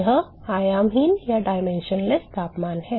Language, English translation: Hindi, This is dimensionless temperature